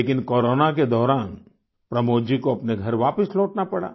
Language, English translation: Hindi, But during corona Pramod ji had to return to his home